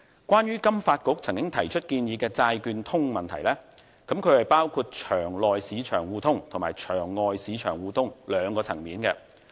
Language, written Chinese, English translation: Cantonese, 關於金發局曾經提出建議的"債券通"問題，包括場內市場互通和場外市場互通兩個層面。, As to FSDCs proposal on the Mainland - Hong Kong Bond Market Connect it allows mutual market access for both over - the - counter bond market and exchange - traded bond market